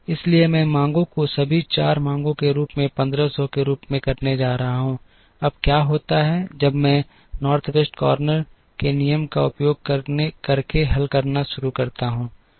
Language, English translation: Hindi, So, I am going to make the demands as all the 4 demands as 1500, now what happens is when I start solving using the North West corner rule